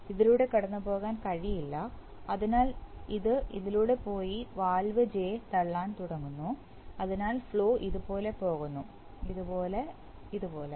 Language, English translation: Malayalam, Cannot go through this, cannot go through this at this point, so it goes through this and starts pushing, starts pushing valve J, so flow goes like this, like this, like this